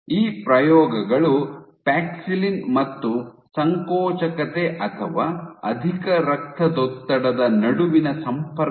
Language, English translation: Kannada, So, this suggests this these experiments suggest a link between paxillin and contractility or hypertension